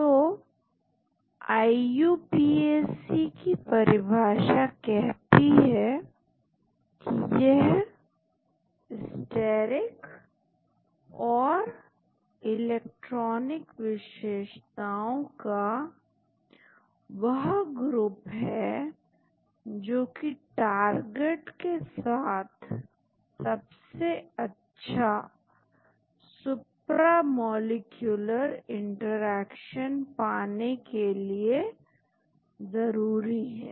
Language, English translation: Hindi, So, the IUPAC definition is an ensemble of steric and electronic features that is necessary to ensure the optimal supramolecular interactions with the target